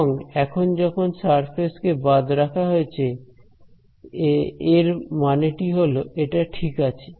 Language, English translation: Bengali, And now the surface is excluding this that is the meaning of s over here ok